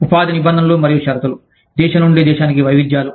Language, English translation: Telugu, Terms and conditions of employment, variances from, country to country